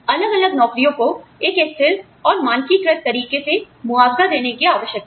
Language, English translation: Hindi, Different jobs need to be compensated for, in a consistent, standardized, manner